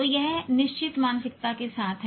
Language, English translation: Hindi, So that is the one with fixed mindset